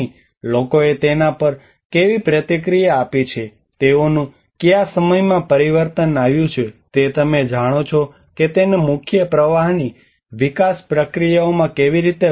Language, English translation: Gujarati, How people have responded to it what are the temporal changes it occurred you know how to make it into a mainstream development procedures